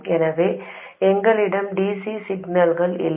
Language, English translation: Tamil, So, we don't have DC signals